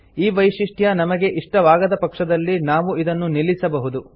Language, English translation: Kannada, If we do not like this feature, we can turn it off